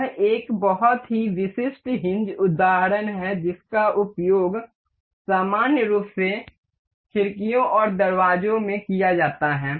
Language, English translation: Hindi, This is a very typical hinge example that is used in generally in windows and doors